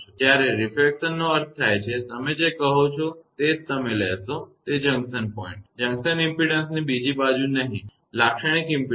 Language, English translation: Gujarati, When refraction means; you will take the your what you call that junction point no other side of the junction impedance; characteristic impedance